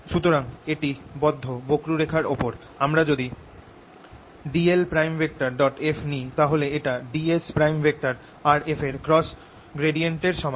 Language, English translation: Bengali, so over a closed curve, if i take d l f, it is equal to d s cross gradient of f